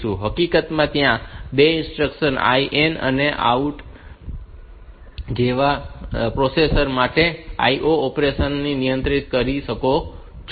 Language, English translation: Gujarati, In fact, there are 2 instructions IN and OUT by which you can control the IO operation from the processor